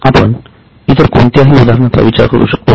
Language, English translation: Marathi, Can you think of any other example